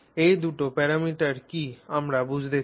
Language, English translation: Bengali, So, what are the two parameters